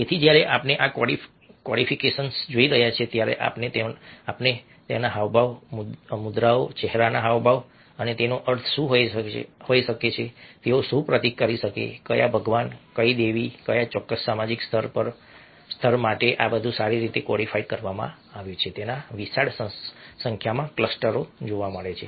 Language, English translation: Gujarati, so when we are looking these codification, we find huge number of clusters of gestures, postures, facial expressions and what they could mean, what they could symbolize, which god, which goddess, which particular social stata